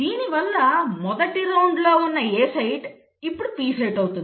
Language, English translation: Telugu, So what was the A site in the first round now becomes the P site